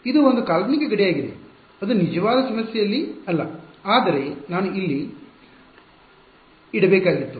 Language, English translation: Kannada, It is a hypothetical boundary in the actual problem it is not there, but I had to put it there